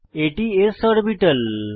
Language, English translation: Bengali, This is an s orbital